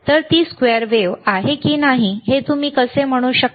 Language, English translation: Marathi, So, how you can say it is a square wave or not